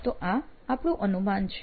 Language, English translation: Gujarati, So this is our assumption